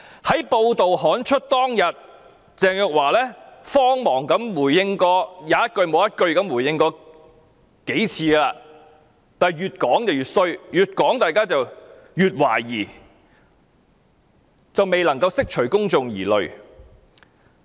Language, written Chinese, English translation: Cantonese, 在報道刊出當天，鄭若驊才慌忙回應，即使她回應了幾次，卻越回應越引起大家懷疑，完全無法釋除公眾疑慮。, On the day the report was released Teresa CHENG responded hurriedly and despite her repeated response greater suspicions was aroused and public concerns could not be allayed at all